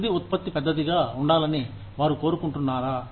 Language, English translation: Telugu, Do they want, the end product to be big